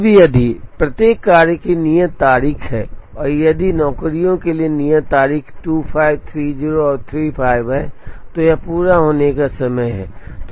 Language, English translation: Hindi, Now, if each job has a due date and if the due date for the jobs are say 25, 30 and 35 then this is completion time